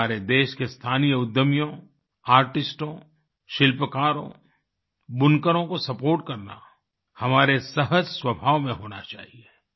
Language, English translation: Hindi, Supporting local entrepreneurs, artists, craftsmen, weavers should come naturally to us